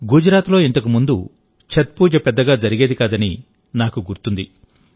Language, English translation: Telugu, I do remember that earlier in Gujarat, Chhath Pooja was not performed to this extent